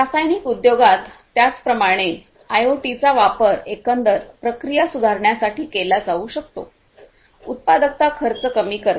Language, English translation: Marathi, In the chemical industry likewise IoT could be used for improving the overall processes, productivity reducing costs and so on and so forth